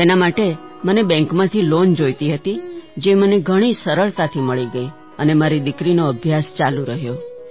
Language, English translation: Gujarati, I needed to take a bank loan which I got very easily and my daughter was able to continue her studies